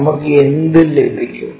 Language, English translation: Malayalam, What we will have